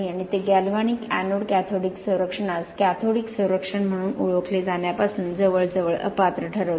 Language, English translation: Marathi, And that almost disqualifies the galvanic anode cathodic protection from being recognized as a cathodic protection